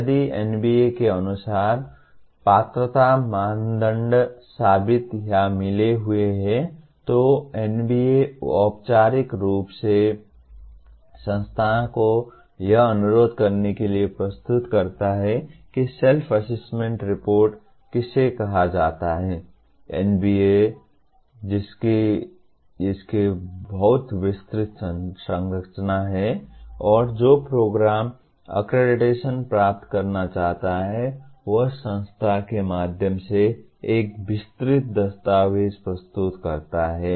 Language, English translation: Hindi, If the eligibility criteria proved or met as per NBA, then NBA formally request the institution to submit what is called Self Assessment Report which has a very detailed structure to it, and the program which is seeking accreditation submits a detailed document through the institution